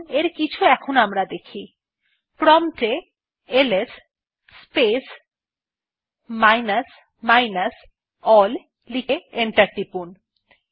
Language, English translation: Bengali, Let us see some of them, Type at the prompt ls space minus minus all and press enter